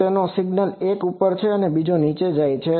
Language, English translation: Gujarati, So, there are one signal is going up another signal is going down